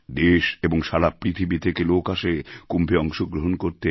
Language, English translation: Bengali, People from all over the country and around the world come and participate in the Kumbh